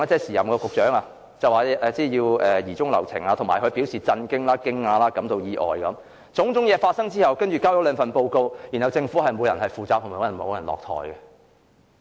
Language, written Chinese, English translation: Cantonese, 時任局長張炳良表示要疑中留情，但又表示震驚、驚訝、感到意外等，但種種問題發生後，政府只提交了兩份報告，卻沒有任何人需要為此負責和落台。, Although Prof Anthony CHEUNG the then Secretary for Transport and Housing said that we should give the matter the benefit of the doubt he also expressed shock at the situation and said that he was surprised . However after the occurrence of all these problems the Government has only submitted two reports and no official should be held responsible and step down